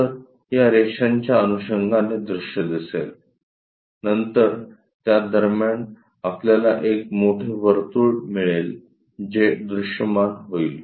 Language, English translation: Marathi, So, the view followed by these lines, in between that we get a bigger circle which will be visible